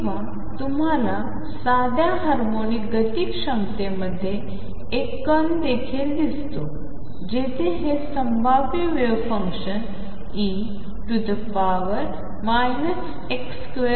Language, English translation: Marathi, Or you also see a particle in a simple harmonic motion potential, where if this is the potential wave function is like e raise to minus x square